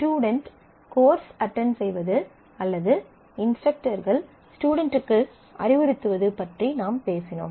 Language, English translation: Tamil, So, we have talked about the student attending courses or instructors advising students and so, on